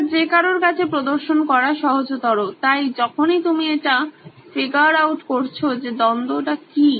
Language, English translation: Bengali, It is easier to demonstrate it to anybody, so whenever you are figuring out what is the conflict